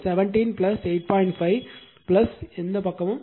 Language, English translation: Tamil, 5 so, 8